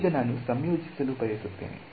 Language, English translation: Kannada, Now, I want to integrate this